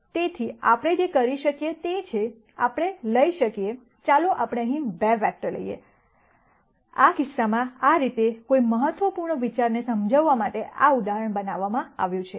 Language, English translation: Gujarati, So, what we can do is, we can take, let us say 2 vectors here, in this case this is how this example has been constructed to illustrate an important idea